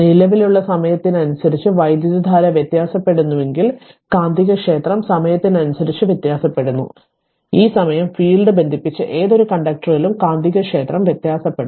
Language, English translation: Malayalam, If the current is varying with time that you know then the magnetic field is varying with time right, so a time varying magnetic field induces a voltage in any conductor linked by the field this you know